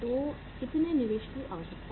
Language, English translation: Hindi, So how much investment is required